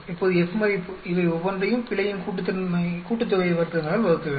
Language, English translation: Tamil, Now the F value, you every each of these divided by error sum of squares